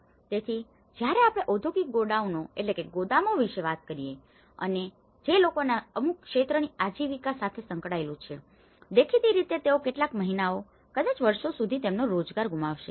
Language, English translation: Gujarati, So, when we talk about the industrial godowns and which has to do with the livelihood of certain sector of the people, obviously they will lose their employment for some months, maybe years